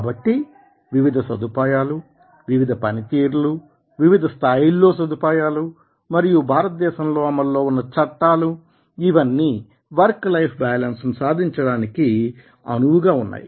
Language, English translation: Telugu, and therefore, different facilities, different works, different leave facilities, and the acts are also in acted in india so that the work life balance can be achieved